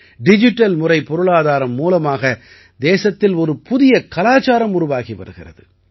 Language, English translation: Tamil, A culture is also evolving in the country throughS Digital Economy